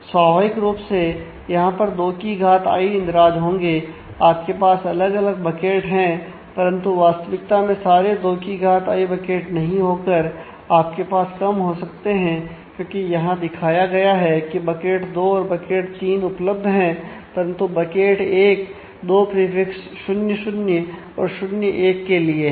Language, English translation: Hindi, So, there will be 2 to the power i entries naturally you have different buckets here, but you may not actually have all 2 to the power i buckets you may have less than that as it is shown here that bucket 2 and bucket 3 exist, but bucket 1 is a holder for both this prefix 0 0 as well as prefix 0 1